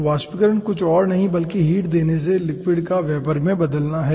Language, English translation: Hindi, so vaporization is nothing but conversion of liquid into ah vapor by applying heat